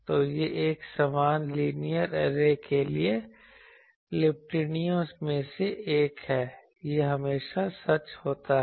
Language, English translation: Hindi, So, this is one of the observation for an uniform linear array, it is always true